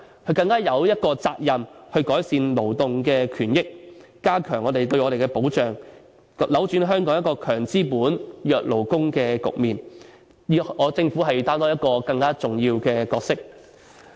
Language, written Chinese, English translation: Cantonese, 行政長官更有責任改善勞動權益，加強對我們的保障，扭轉香港"強資本、弱勞工"的局面，政府應要擔當更重要的角色。, On the contrary the Chief Executive has the responsibility to improve labour rights and interests enhance our protection and change Hong Kongs situation of strong capitalists and weak workers . The Government should take up a more important role